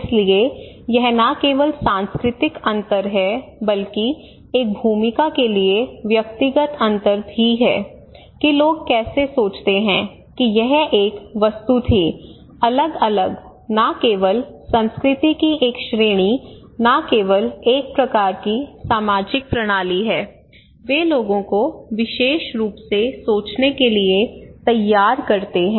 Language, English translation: Hindi, So it is not only cultural differences but also individual personal differences for a role that how people think it was one object differently not only one category of culture not only one kind of social system they have, they groom people to think in particular way but also individual because of several other reasons they have their own mind